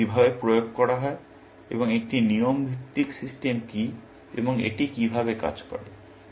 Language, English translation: Bengali, How are they implemented, and what is a rule based system, and how does it work